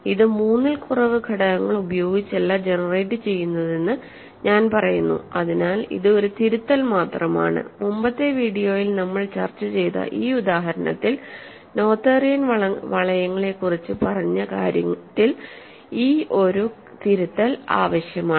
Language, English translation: Malayalam, I am saying that it is not generated by less than three elements so that is just correction I wanted to make about noetherian rings in this example that we discussed in a previous video ok